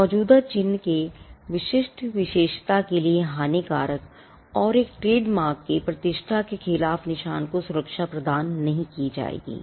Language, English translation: Hindi, Marks that are detrimental to the distinctive character of an existing mark and against the repetition of a trademark will not be granted protection